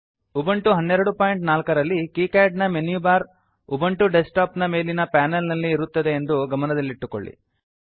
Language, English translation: Kannada, Note that in Ubuntu 12.04, the menu bar of KiCad appears on the top panel of Ubuntu desktop